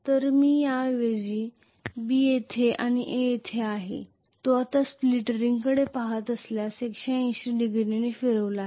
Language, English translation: Marathi, So I would rather show B is here A is here which has rotated by 180 degrees now if I look at the split ring